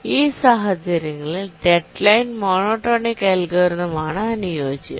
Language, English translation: Malayalam, For these cases, the deadline monotonic algorithm is the optimal